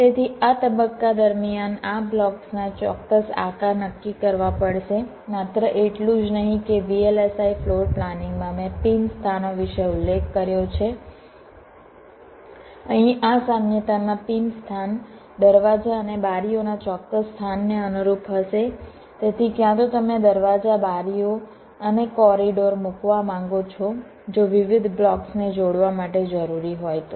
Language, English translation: Gujarati, not only that, in in vlsi floorplanning i mentioned ah about the pin locations here in this analogy the pin location would correspond to the exact location of the doors and windows, so where you want to put, put the doors, windows and the corridors if required for connecting the different blocks